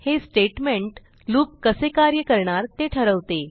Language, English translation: Marathi, This statement decides how the loop is going to progress